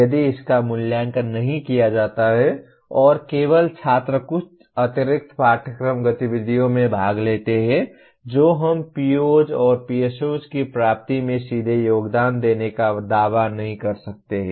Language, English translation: Hindi, If it is not evaluated and only students participate in some extracurricular activities that we cannot claim to be directly contributing to the attainment of POs and PSOs